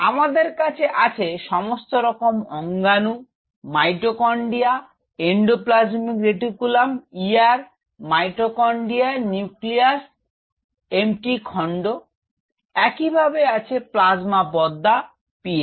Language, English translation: Bengali, Here I have a nucleolus with the DNA sitting there we have all sorts of orgonal mitochondria endoplasmic reticulum ER nucleus Mt stand for mitochondria likewise we have the plasma membrane PM